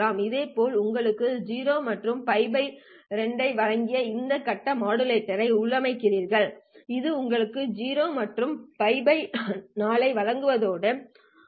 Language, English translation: Tamil, Similarly you configure this phase modulator to give you 0 and pi by 2, this one to give you 0 and pi by 4